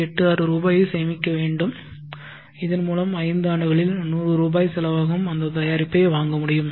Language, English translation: Tamil, 86 rupees today, so that five years from now I can buy that product which costs 100 rupees today